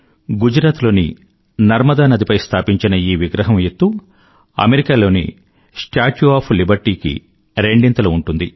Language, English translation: Telugu, Erected on the banks of river Narmada in Gujarat, the structure is twice the height of the Statue of Liberty